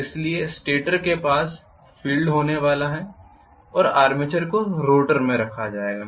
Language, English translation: Hindi, So stator is going to have the field and armature will be housed in the rotor